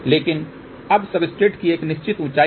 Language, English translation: Hindi, But now there is a certain height of the substrate